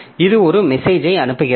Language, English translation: Tamil, So, it is sending a message to this one